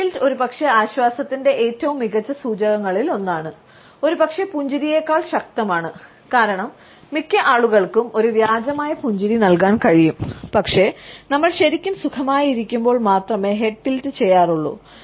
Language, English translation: Malayalam, Head tilt is probably one of the best indicators of comfort um, probably more powerful than a smile, because most people can fake a smile, but head tilt we reserved for when we are truly comfortable